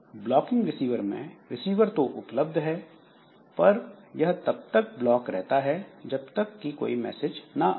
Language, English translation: Hindi, So this blocking receive is the receiver is blocked until a message is available